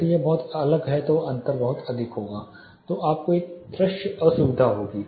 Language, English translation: Hindi, If this is too different you know difference is too high then you will have a visual discomfort